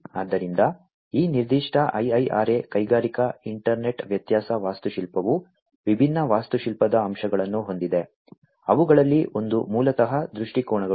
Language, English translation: Kannada, So, this particular IIRA industrial internet difference architecture has different architectural components, one of which is basically the viewpoints